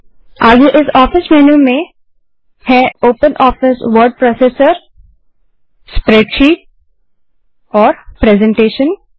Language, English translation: Hindi, Then further in this office menu we have openoffice word processor, spreadsheet and presentation